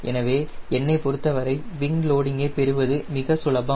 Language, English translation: Tamil, so for me it is very easy to get wing loading